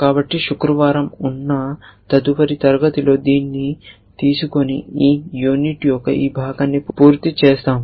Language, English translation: Telugu, So, will take this up in the next class which is on Friday and complete this part of the this unit